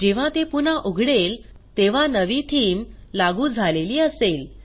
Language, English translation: Marathi, When it restarts, the new themes is applied